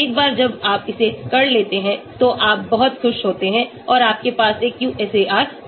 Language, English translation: Hindi, Once you have done it, you are very happy and you have a QSAR